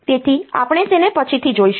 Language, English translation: Gujarati, So, we will see them later